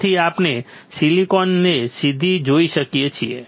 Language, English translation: Gujarati, So, we can directly see silicon